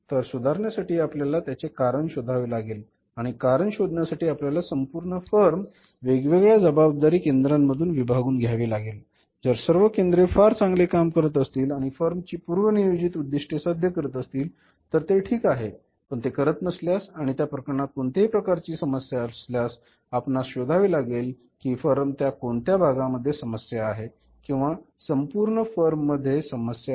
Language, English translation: Marathi, So, for rectifying we have to find out the cause and for finding out the cause you have to divide the whole form into the different responsibility centers if all the centers are doing very well and achieving that pre determined objectives of the form then it is fine but if it is not doing and if there is a problem of any kind in that case we will have to find out at which part of the system or maybe the whole of the form there is a problem so we will have to create the centers